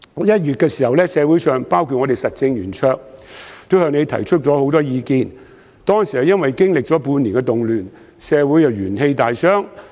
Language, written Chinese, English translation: Cantonese, 1月時，社會上許多人都向你提出意見，因為當時經歷了半年的動亂，社會元氣大傷。, In January as the six months of unrest had exhausted the vitality of society many people including the Roundtable came to you to voice their opinions